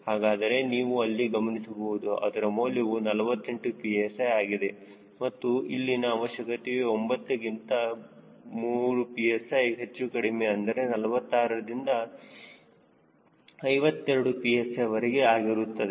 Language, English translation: Kannada, it has come to forty eight psi and the requirement is forty nine plus minus three psi, that is, forty six to fifty two psi